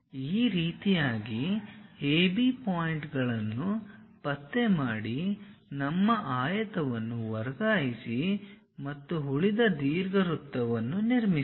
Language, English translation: Kannada, In this way locate AB points transfer our rectangle and construct the remaining ellipse